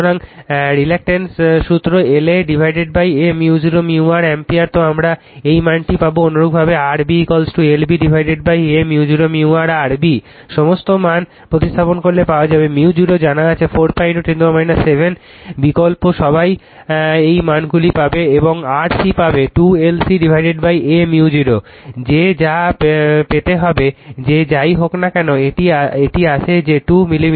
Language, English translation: Bengali, So, reluctance formula L A upon A mu 0 mu r A so, you will get this value similarly R B is equal to L B upon A mu 0 mu R B substitute all the values right, mu 0 you know 4 pi into 10 to the power minus 7, you substitute all you will get these value and R C will get 2 L C upon a mu 0 right, that is your what will get that is your whatever it comes that 2 millimeter